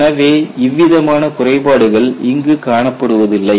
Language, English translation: Tamil, So, that kind of defect is not seen here